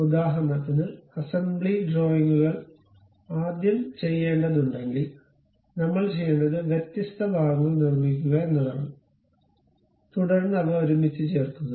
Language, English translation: Malayalam, So, for example, if we have to do assembly drawings first of all what we have to do is construct different parts, and then join them together